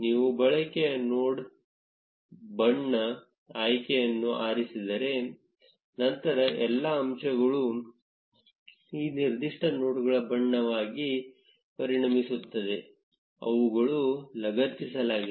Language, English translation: Kannada, If you choose the use node color option then all the edges will become of the color of these specific nodes, which they are attached to